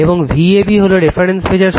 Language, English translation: Bengali, And V ab is the reference voltage